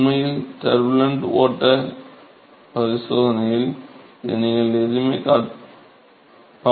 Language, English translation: Tamil, In fact, you must have seen this in your turbulent flow experiment